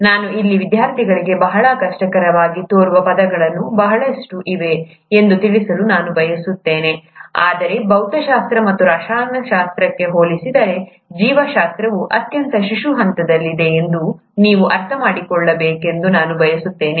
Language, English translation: Kannada, I would like to bring out to the students here that indeed there are lot of terms which seem very difficult, but I would also like you to understand that biology is at a very infant stage, in comparison to, for example physics or chemistry, where the logics of chemistry and physics are very well defined